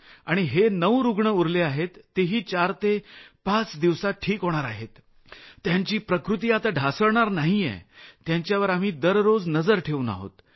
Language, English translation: Marathi, And those remaining 9 people are also going to be well, they are not going to deteriorate, we are keeping a watch on them on a daily basis